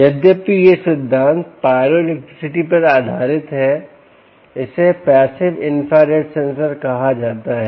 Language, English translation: Hindi, although the principle is based on pyroelectricity, pyroelectricity, its called ah passive infrared sensor